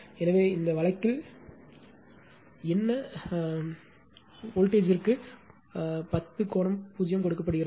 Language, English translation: Tamil, So, in this case your what you call voltage is given 10 angle 0